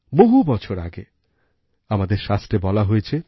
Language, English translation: Bengali, Our scriptures have said centuries ago